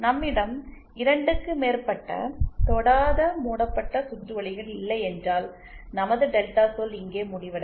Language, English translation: Tamil, And if we do not have more than 2 non touching loops, then our delta term will end here